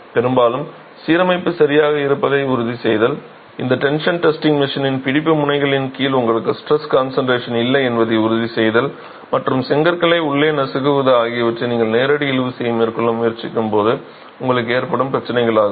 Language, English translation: Tamil, Very often ensuring that the alignment is right, ensuring that under the gripping ends of this tension testing machine you don't have stress concentration and crushing locally of the bricks itself are problems that you will have when you are trying to carry out a direct tension test with brick units